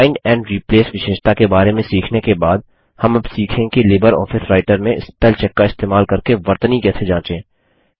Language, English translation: Hindi, After learning about Find and Replace feature, we will now learn about how to check spellings in LibreOffice Writer using Spellcheck